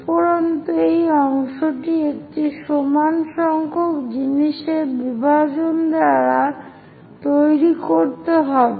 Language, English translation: Bengali, And this part one has to construct by division of equal number of things